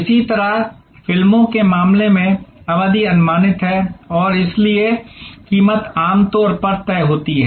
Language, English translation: Hindi, Similarly, in case of movies the duration is predictable and therefore, the price is usually fixed